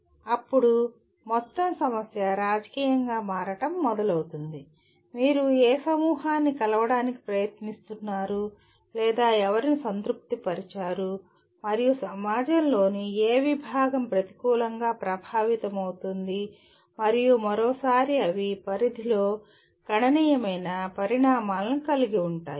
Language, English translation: Telugu, Then the whole problem becomes kind of starts becoming political in the sense interest of which group are you trying to meet or whom are you satisfying and which segment of the society is going to be negatively affected and once again they have significant consequences in a range of context